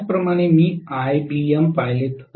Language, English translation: Marathi, Similarly, if I look at ibm